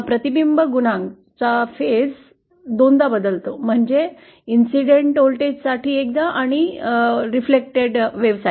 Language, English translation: Marathi, The reflection coefficient is changes twice faced change for the voltage for the incident and reflected waves